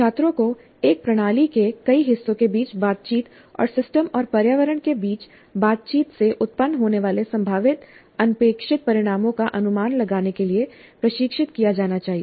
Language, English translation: Hindi, So students must be trained to anticipate the possibly unintended consequences emerging from interactions among the multiple parts of a system and interactions between the system and the environment